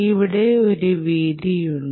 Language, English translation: Malayalam, ah, this width is like this